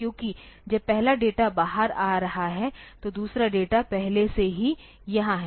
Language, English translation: Hindi, Because, when the first data is coming out the second data is already here